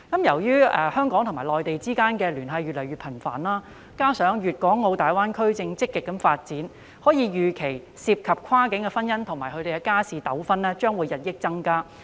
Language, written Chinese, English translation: Cantonese, 由於香港與內地之間的聯繫越來越頻繁，加上粵港澳大灣區正積極發展，可以預期跨境婚姻及相關的家事糾紛將會日益增加。, With the increasingly frequent communications between Hong Kong and the Mainland and the ongoing active development in Guangdong - Hong Kong - Macao Greater Bay Area it is expected that cross - boundary marriages and related family disputes will keep increasing